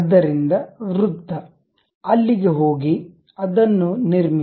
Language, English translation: Kannada, So, circle, go there, construct